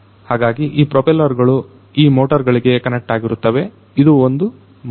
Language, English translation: Kannada, So, these propellers are connected to these motors, this is a motor